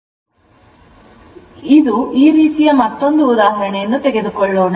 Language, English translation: Kannada, So, this will take another example like this one right